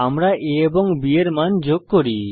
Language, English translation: Bengali, Then we add the values of a and b